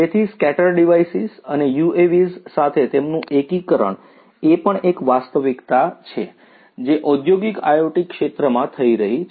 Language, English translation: Gujarati, So, scatter devices and their integration with UAVs are also a reality that is happening in the industrial IoT sector